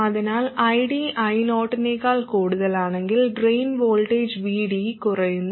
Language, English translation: Malayalam, So, if ID is more than I 0, then the drain voltage VD reduces